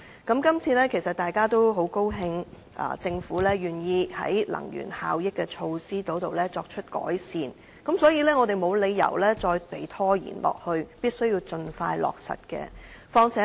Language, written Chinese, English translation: Cantonese, 議員其實應該感到很高興，政府願意在能源效益措施方面作出改善，所以，我們沒有理由再拖延下去，而應盡快落實有關計劃。, Members should actually feel very pleased that the Government is willing to improve its energy efficiency initiatives . Therefore there is no reason for us to make any further procrastination . Instead the relevant scheme should be implemented expeditiously